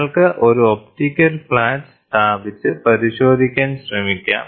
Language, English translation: Malayalam, You can put an optical flat and try to check